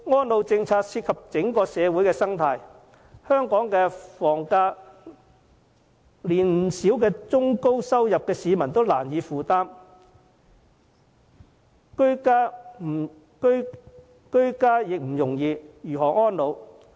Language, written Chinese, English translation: Cantonese, 安老政策涉及整個社會的生態，香港的房價連不少中、高收入的市民也難以負擔，居家已不容易，遑論安老？, The elderly care policy has to do with the entire ecology of society . The property prices of Hong Kong are so high that even citizens with middle - to - high - level income can hardly afford them making it difficult for people to live under a secure roof let alone ageing in one